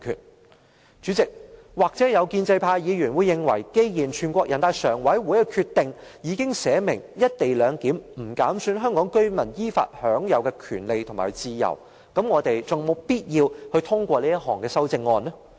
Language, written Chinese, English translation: Cantonese, 代理主席，建制派議員或會認為，既然人大常委會的決定已經訂明"一地兩檢"安排"不減損香港特別行政區居民依法享有的權利和自由"，我們還有否必要通過這項修正案呢？, Deputy Chairman Members of the pro - establishment camp may wonder since the Decision of NPCSC already states that the co - location arrangement does not undermine the rights and freedoms enjoyed by the residents of the Hong Kong Special Administrative Region in accordance with law whether it is still necessary for us to pass this amendment